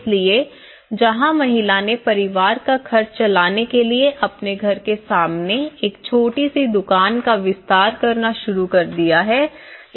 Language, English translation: Hindi, So, where the woman have started expanding their house front as a small shop to run the family expenses